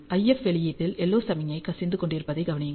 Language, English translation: Tamil, So, you can observe that you have LO signal leaking into the IF output